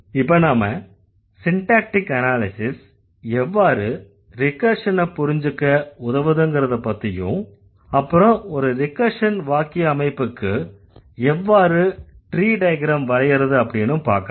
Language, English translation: Tamil, So, now let's see how syntactic analysis helps us to understand recursion on how tree diagrams can be drawn for the recursive constructions